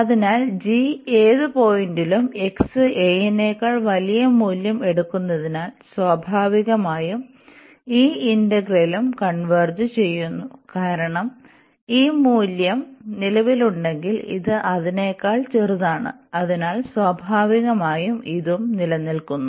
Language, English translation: Malayalam, So, if this integral converges if this integral converges, because and this is the larger value, because g is taking a larger value at any point x greater than a so, in that case naturally that this integral also converges, because if this value exists and this is a smaller than that so naturally this also exist